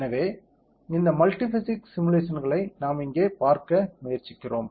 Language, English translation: Tamil, So, this multi physics simulation is what we are trying to see here, ok